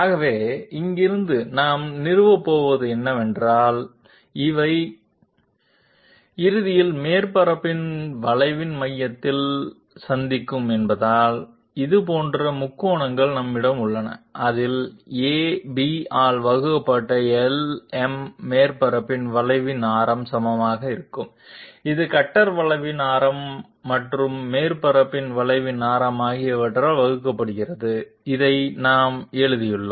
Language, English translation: Tamil, So what we are going to establish from here is that since these will be ultimately meeting at the centre of the center of curvature of the surface therefore, we have similar triangles in which LM divided by AB will be equal to radius of curvature of the of the surface divided by radius of curvature of the cutter plus radius of curvature of the surface, this we have written down